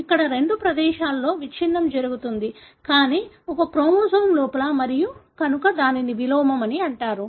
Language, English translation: Telugu, Here, the breakage happens at two places, but within the same chromosome and therefore it is called as inversion